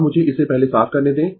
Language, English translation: Hindi, Now, let me first clear it